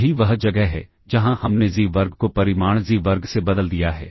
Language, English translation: Hindi, That is where we have replaced xi square with magnitude xi square